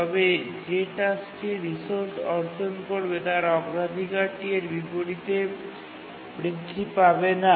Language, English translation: Bengali, When a task is granted a resource, its priority actually does not change